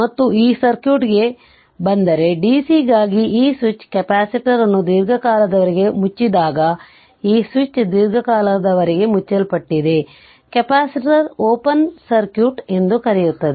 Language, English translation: Kannada, And we have to if you come to this this circuit right, so our capacitor when this switch is closed for long time for do dc, because this switch is closed for long time, the capacitor act as ah your what you call open circuit right